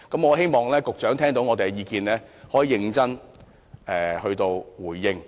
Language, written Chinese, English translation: Cantonese, 我希望局長聽到我們的意見，可以認真回應。, I hope the Secretary can hear our views and give a serious response